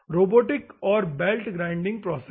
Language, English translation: Hindi, Robotic and belt grinding process